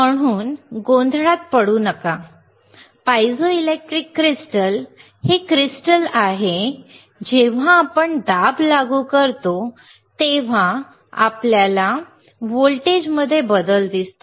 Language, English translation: Marathi, So, do not get into confusion, piezoelectric crystals is the crystal that when we apply a pressure youwe will see the change in voltage, you will same change in voltage